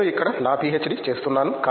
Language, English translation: Telugu, I am doing my PhD here